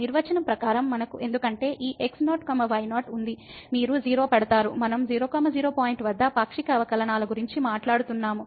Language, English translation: Telugu, As per the definition, we have because this naught naught; you will put 0, we are talking about the partial derivatives at point